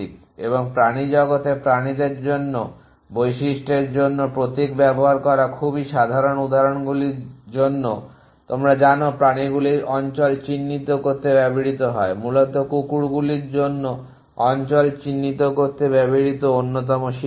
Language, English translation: Bengali, And is very common in the animal world for animals for feature to use symbol for examples you know animal used to mark territory essentially dogs another predators used to mark territory